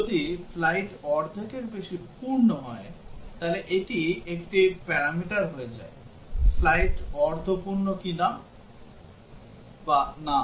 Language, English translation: Bengali, If the flight is more than half full, so this becomes a parameter; whether the flight is half full or not